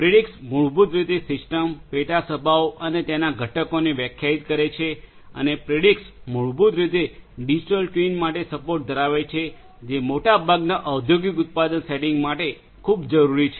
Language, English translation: Gujarati, Predix basically defines the organization of the system and subassemblies and their components and also Predix basically has the support for Digital Twin which is very essential for most of the industrial manufacturing settings